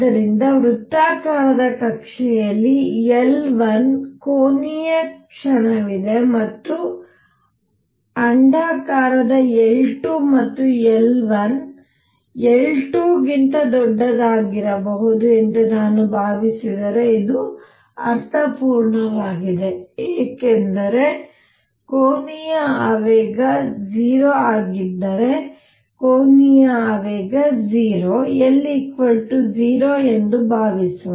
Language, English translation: Kannada, So, if I have considered suppose the circular orbit has a angular moment L 1 and the elliptical one is L 2 and L 1 could be greater than L 2 this makes sense because if the angular momentum is 0 suppose angular momentum is 0, L equal to 0, then the motion will be linear passing through the origin